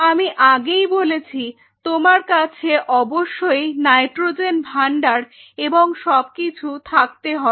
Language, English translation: Bengali, So, you have to have I told you about the nitrogens storage and everything